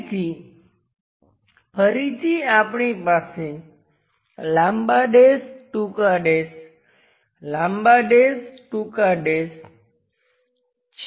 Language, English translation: Gujarati, So, again we have long dash short, dash long, dash short, dashed line